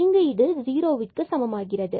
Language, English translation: Tamil, So, it means y is equal to 0